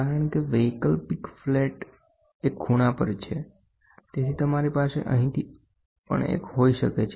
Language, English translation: Gujarati, Because the optional flat is at an angle so, you might have one from here, one from here also